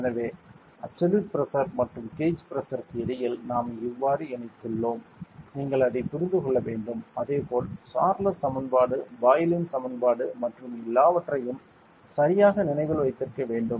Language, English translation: Tamil, So, this is how we connected between absolute Pressure and Gauge Pressure ok, you should understand that and similarly, you must also remember the Charles equation Boyle’s equation and everything ok